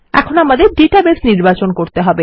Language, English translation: Bengali, We need to connect to our database